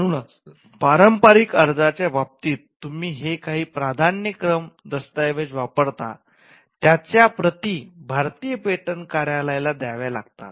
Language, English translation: Marathi, So, whatever priority document that you used in the case of a convention application, copies of that has to be provided to the Indian patent office